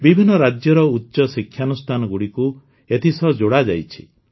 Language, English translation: Odia, Higher educational institutions of various states have been linked to it